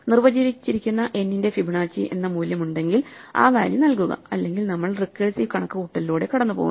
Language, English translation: Malayalam, If there is a value Fibonacci of n, which is defined then return that value; otherwise, we go through the recursive computation